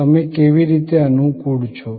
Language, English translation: Gujarati, How are you suited